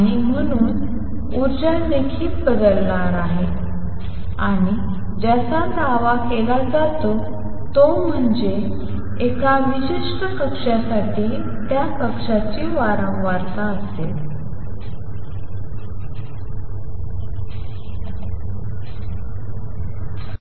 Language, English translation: Marathi, And therefore, the energy is also going to change and what is claimed is that for a particular orbit is going to be the frequency of that orbit classical